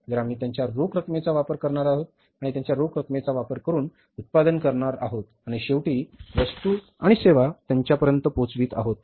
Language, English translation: Marathi, So, we are going to use their cash and going to manufacture the product by using their cash and finally, say, delivering the goods and services to them